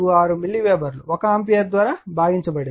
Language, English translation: Telugu, 646 your milliweber divided by 1 ampere